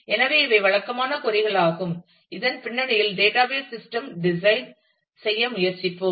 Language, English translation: Tamil, So, these are the typical queries against which in the backdrop of which we will try to design the database system